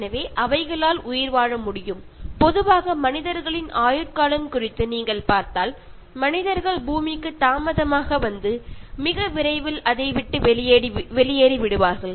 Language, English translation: Tamil, So, they will be able to survive and if you look at the lifespan of human beings in general, human beings arrived late to the planet Earth and will leave it very soon